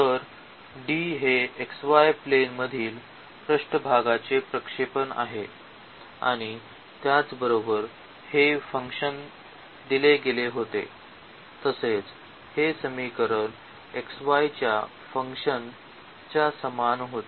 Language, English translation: Marathi, So, D is the projection of the surface in the xy plane and similarly because this equation we have formulated when the function was given as this z is equal to a function of xy